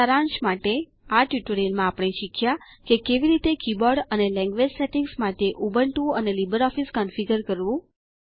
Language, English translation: Gujarati, In this tutorial, We learnt how to configure Ubuntu and LibreOffice for keyboard and language settings